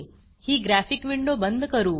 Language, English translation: Marathi, I will close this window